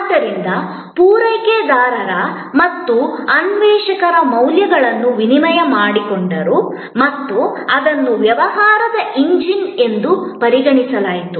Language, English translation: Kannada, So, providers and seekers exchanged values and that was considered as the engine of business